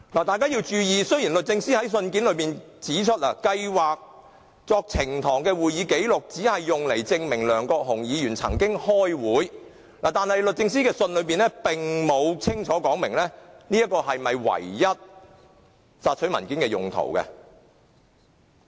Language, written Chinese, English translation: Cantonese, 大家要注意，雖然律政司在信件指出，計劃作呈堂的會議紀錄只是用來證明梁國雄議員曾經開會，但律政司的信件中並沒有清楚指明這是否所索取文件的唯一用途。, We should be mindful that though the letter from DoJ indicated that the proceedings and minutes when submitted to the Court were intended to prove the attendance of Mr LEUNG Kwok - hung it did not specify whether that was the sole use of the documents in question